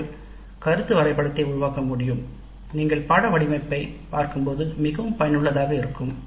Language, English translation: Tamil, Then we can develop the concept map quite useful when you are looking at the course design